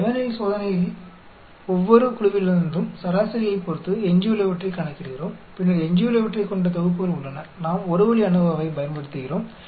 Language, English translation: Tamil, In the Levene's test, we calculate the residuals with respect to the average from each group and then the there are sets containing residuals we apply the One way ANOVA